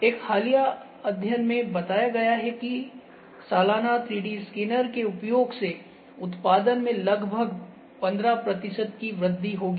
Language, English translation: Hindi, A recent study has reported that there would be about 15 percent increase in the production using 3D scanners annually